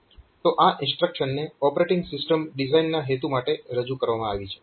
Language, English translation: Gujarati, So, this has been introduced for this operating system design purpose